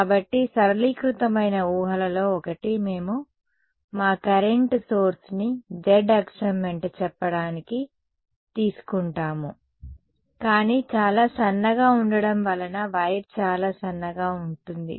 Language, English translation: Telugu, So, one of the simplifying assumptions will be we’ll take our current source to be let us say along the z axis, but very thin will make the wire to be very thin ok